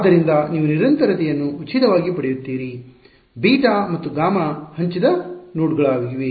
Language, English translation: Kannada, So, you get continuity for free, beta and gamma are shared nodes